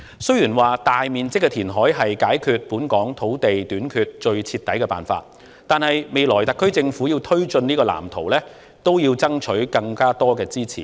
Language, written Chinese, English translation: Cantonese, 雖然說大面積填海是解決本港土地短缺最徹底的辦法，但特區政府未來要推進這個藍圖，也要爭取更多支持。, Although it is said that extensive reclamation is the most thorough way to resolve land shortage in Hong Kong if the SAR Government wants to take forward this blueprint in the future it has to lobby for greater support